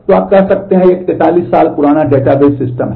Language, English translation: Hindi, So, you can say, it is a it is a 40 year old database system